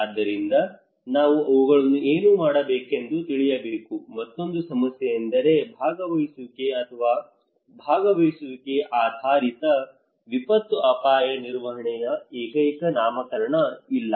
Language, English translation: Kannada, So we need to know what to do them, another problem is that there is no single nomenclature of participations or participatory based disaster risk management